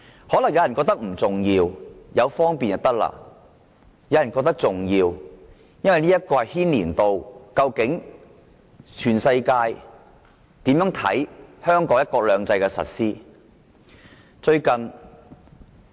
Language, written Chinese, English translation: Cantonese, 可能有人覺得不重要，便捷就可以，但有人則覺得事態嚴重，牽涉到究竟全世界如何看香港"一國兩制"的實施情況。, Some may find this arrangement unimportant and convenience is all that matters but some people opine that the matter is very serious indeed as it affects how the whole world look at the implementation of one country two systems in Hong Kong